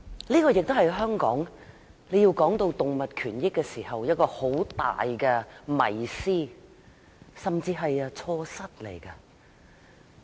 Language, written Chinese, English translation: Cantonese, 這亦是在香港談及動物權益時一個很大的迷思，甚至是錯失。, This is a great misperception and even a mistake when we talk about animal rights in Hong Kong